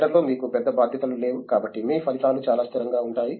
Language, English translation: Telugu, Lower down in the cadre you do not have big responsibilities so your results are fairly consistent